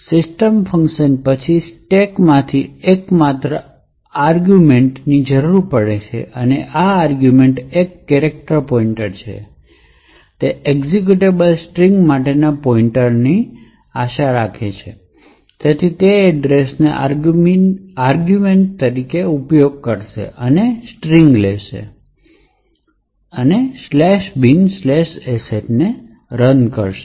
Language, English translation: Gujarati, The system function would then pick from the stack, the only argument that it requires and this argument is a character pointer and it is expecting a pointer to a string comprising of an executable, so it uses this address as the argument and picks the string /bin/sh and executes it